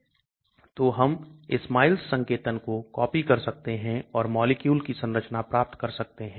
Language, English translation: Hindi, So SMILES notations we can copy and get the structure of molecules